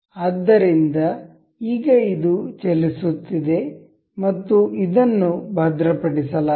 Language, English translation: Kannada, So, now, this is moving and this is fixed